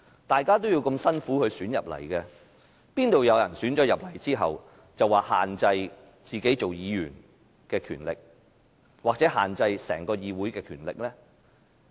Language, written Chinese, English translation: Cantonese, 大家也要辛苦努力才當選進入議會，怎會有人獲選入議會後，便說要限制自己做議員的權力，或是限制整個議會的權力呢？, As we have all made great efforts to be elected to the Council why would some people after being elected to the Council talk about limiting their powers as Members or that of the Council as a whole?